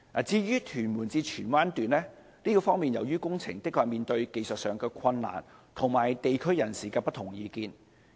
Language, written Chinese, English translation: Cantonese, 至於屯門至荃灣段的工程，確實面對技術上的困難及地區人士的不同意見。, As to the construction works of the section from Tuen Mun to Tsuen Wan we actually face technical difficulties and divergent views of members of the local communities